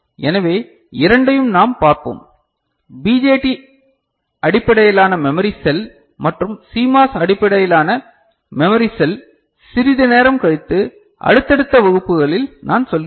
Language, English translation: Tamil, So, we shall see both you know, BJT based memory cell and CMOS based memory cell little later I mean, in subsequent classes right